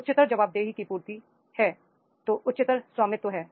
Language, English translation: Hindi, Higher the fulfillment of the accountabilities, higher is the ownership